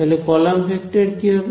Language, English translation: Bengali, So what should the column vector be